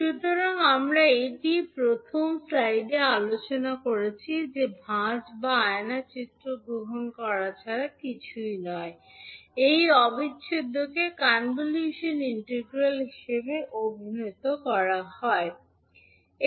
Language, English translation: Bengali, So this is what we discuss in the first slide that folding that is nothing but taking the mirror image is the reason of calling this particular integral as convolution integral